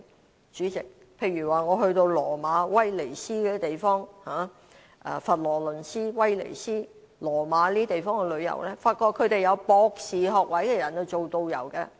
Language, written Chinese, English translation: Cantonese, 代理主席，我去羅馬、威尼斯和佛羅倫斯等地旅遊時，發覺他們由具有博士學位的人來當導遊。, Deputy President during my visit to places such as Rome Venice and Florence I noticed that people with doctoral degree acted as tour guides